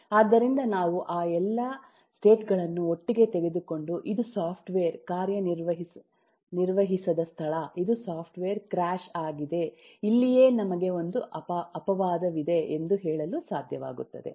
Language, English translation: Kannada, so take all those states together and say, okay, this is, this is where the software is not working, this is where the software is crashed, this is where we have an exception, and so and so forth